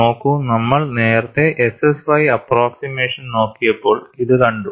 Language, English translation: Malayalam, See, we have seen earlier when we looked at SSY approximation